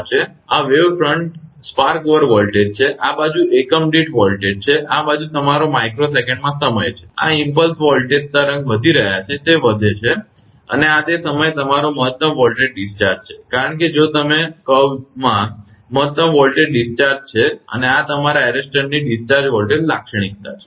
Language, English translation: Gujarati, This is wave front spark over voltage, this side is voltage in per unit this side is the time in your microsecond, this is the impulse voltage wave rising it is rising, and this is your maximum voltage discharge at this point, because if you look in the curve this is the maximum voltage discharge, and this is the discharge voltage characteristic of the your arrester